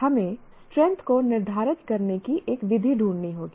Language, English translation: Hindi, So we have to find, we have to find a method of determining the strength